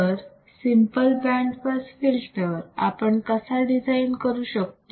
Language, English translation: Marathi, So, this is how we can design the band pass filter